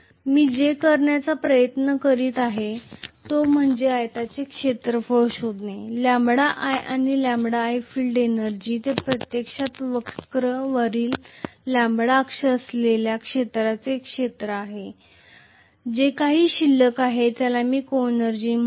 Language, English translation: Marathi, What I am trying to do is to actually find out the area of the rectangle lambda times i and if I minus whatever is the field energy which is actually area above the curve long with the lambda axis, that whatever is left over I call that as the coenergy